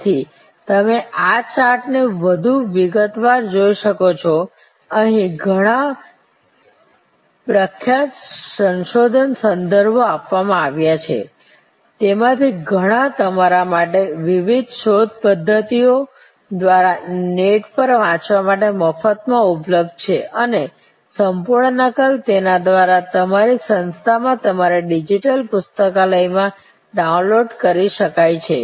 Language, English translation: Gujarati, So, you can look at this chart more in detail, there are number of famous research references are given here, lot of these are available for free for you to read on the net through the various search mechanisms and full complete copy can be downloaded through your digital library system, at your institute